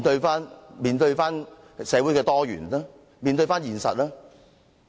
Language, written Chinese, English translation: Cantonese, 要面對社會的多元，面對現實。, Face social diversity face the reality